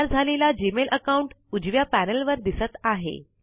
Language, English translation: Marathi, The Gmail account is created and is displayed on the right panel